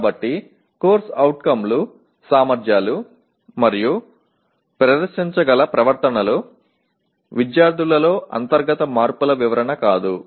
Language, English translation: Telugu, So COs are competencies and the behaviors that can be demonstrated; not descriptions of internal changes in the students